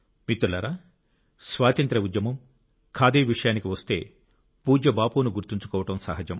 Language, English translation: Telugu, Friends, when one refers to the freedom movement and Khadi, remembering revered Bapu is but natural